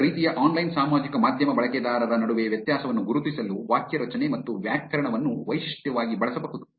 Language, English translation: Kannada, The sentence structure and grammar can be used as a feature to differentiate between different kinds of online social media users